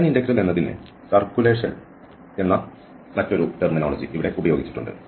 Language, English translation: Malayalam, There is another terminology used here the line integral as circulation